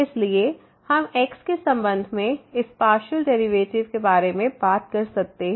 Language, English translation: Hindi, So, we can talk about this partial derivative with respect to